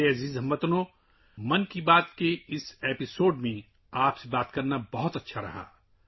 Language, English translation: Urdu, My dear countrymen, it was great to connect with you in this episode of Mann ki Baat